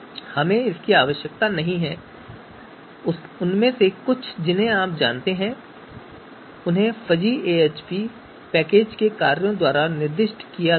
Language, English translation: Hindi, So we do not need that and some of those you know names have been assigned by the you know functions of the fuzzy AHP package as well